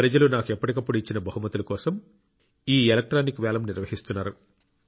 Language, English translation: Telugu, This electronic auction pertains to gifts presented to me by people from time to time